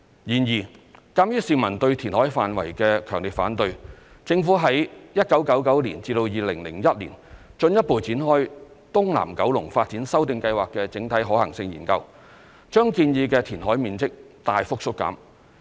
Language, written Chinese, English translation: Cantonese, 然而，鑒於市民對填海範圍的強烈反對，政府於1999年至2001年進一步展開"東南九龍發展修訂計劃的整體可行性研究"，把建議的填海面積大幅縮減。, However due to the strong opposition to the extent of reclamation from members of the public the Government further conducted the Comprehensive Feasibility Study for the Revised Scheme of South East Kowloon Development from 1999 to 2001 and significantly reduced the proposed reclamation area